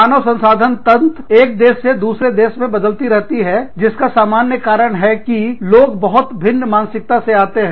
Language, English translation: Hindi, HR systems, vary from country to country, for the simple reason that, people are coming from, very different mindsets